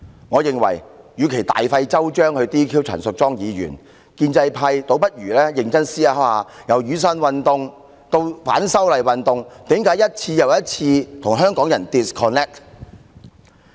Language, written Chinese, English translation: Cantonese, 我認為，與其大費周章 "DQ" 陳淑莊議員，建制派何不認真思考一下，從雨傘運動至反修例運動，為何政府一再與香港人 disconnect？, I think that instead of disqualifying Ms Tanya CHAN by going through all the trouble why dont the pro - establishment camp reflect on the reasons why the Government disconnected once again with Hong Kong people all along from the Umbrella Movement to the movement of opposition to the proposed legislative amendments